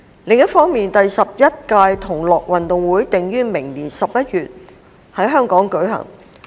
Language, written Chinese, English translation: Cantonese, 另一方面，第十一屆同樂運動會定於明年11月在香港舉行。, On the other hand the 11th Gay Games have been scheduled to be held in Hong Kong in November next year